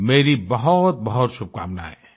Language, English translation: Hindi, I extend many felicitations to you